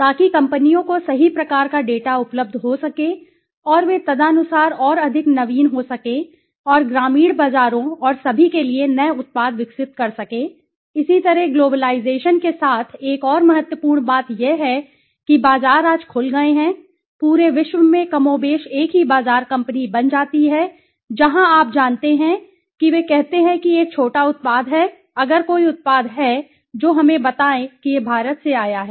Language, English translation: Hindi, So that right kind of data is made available to the companies and they can accordingly then may be more innovative and develop new products for the rural markets and all, similarly another important with globalization what does happen is that the markets have all opened up right today the whole globe as more or less become a single market right companies somewhere in the you know they say there is a small saying that if there is a any product which let us say that it has come from India